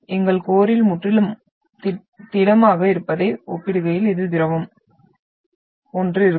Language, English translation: Tamil, And we know that this is liquid compared to what we are having completely solid in our core